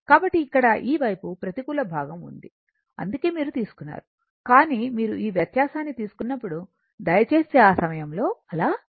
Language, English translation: Telugu, So, here this side is negative side that is why we have taken, but when you take this difference, please do not do not do that at that time